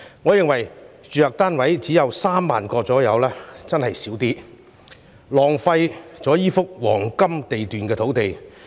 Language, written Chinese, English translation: Cantonese, 我認為只有約3萬個住宅單位的確太少，浪費了這幅黃金地段土地。, I think the number of units to be provided is really too small and is a waste of this site sitting on prime location